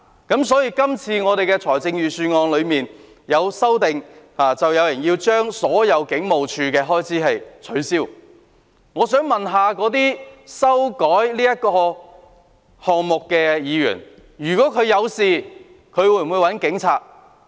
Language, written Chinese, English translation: Cantonese, 有人就今次的預算案提出修正案，削減香港警務處的所有開支，我想問那些提出修正案的議員，如果他們出事，會否找警察？, Some people have proposed amendments to this Budget to cut all the expenditures of the Hong Kong Police Force HKPF . I would like to ask those Members who proposed the amendments whether they will approach the Police if they get into trouble